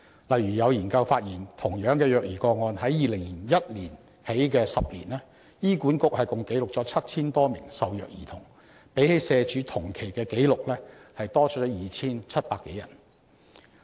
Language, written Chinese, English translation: Cantonese, 例如，有研究發現，同樣是虐兒個案，自2001年起的10年，醫院管理局共記錄了 7,000 多名受虐兒童，比起社署同期的紀錄多出 2,700 多人。, For example a study found that in respect of child abuse cases in the 10 years beginning in 2001 the Hospital Authority recorded a total of 7 000 - odd abused children 2 700 more than the number recorded by SWD in the same period